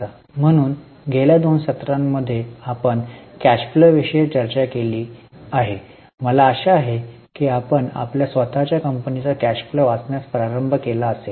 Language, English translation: Marathi, So, for last two sessions we have discussed cash flow, I hope you have seen, you have started reading the cash flow of your own company